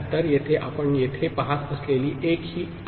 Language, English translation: Marathi, So, this is the 1 that you see in here